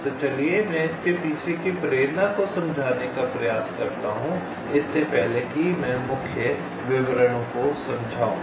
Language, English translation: Hindi, so let us try to explain the motivation behind it before i explain the salient details